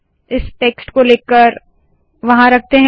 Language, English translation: Hindi, Lets take this text and put it there